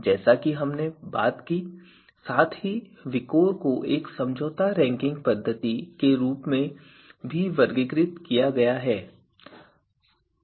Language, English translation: Hindi, Also, you know compromise ranking VIKOR is also classified as a compromise ranking method